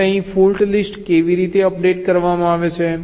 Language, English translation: Gujarati, now how are the fault list updated here